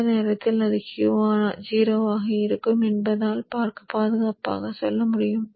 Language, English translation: Tamil, So I can safely say that it will be zero during this time